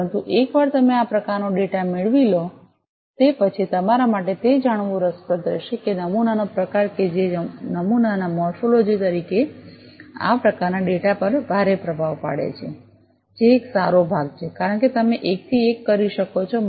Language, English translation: Gujarati, But once you get this kind of data it will be interesting for you to know, that the type of sample that the morphology of the sample as immense influence on this kind of data, which is one good part because you can do a one to one structure and property correlations